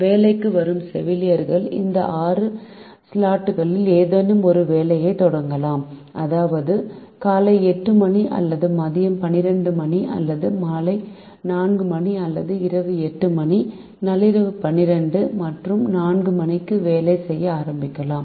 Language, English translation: Tamil, the nurses who come to work can start work at the beginning of any of these six slots, which means they can start working at eight am or twelve noon or four pm or eight pm, twelve midnight and four am